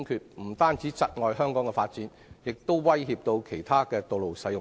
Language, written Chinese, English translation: Cantonese, 這不單窒礙香港的發展，也威脅其他道路使用者。, This will not only hinder Hong Kongs development but will also pose a threat to other road users